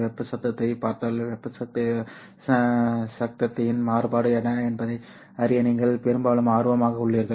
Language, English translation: Tamil, If you look at thermal noise, you are mostly interested in knowing what is the variance of the thermal noise